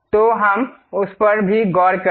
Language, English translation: Hindi, So, let us look at that also